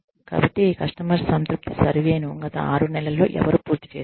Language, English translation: Telugu, So, who completed a customer satisfaction survey, in the past six months